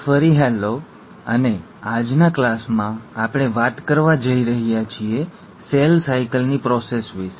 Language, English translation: Gujarati, So hello again and in today’s class we are going to talk about the process of cell cycle